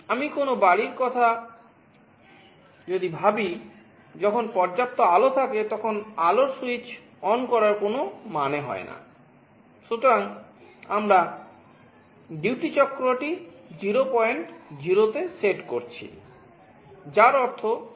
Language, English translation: Bengali, You think of a home, when there is sufficient light there is no point in switching ON the light